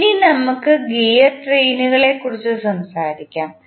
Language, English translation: Malayalam, Now, let us talk about the gear train